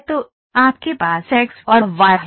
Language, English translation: Hindi, So, you have x and y